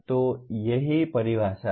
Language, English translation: Hindi, So that is what the definition is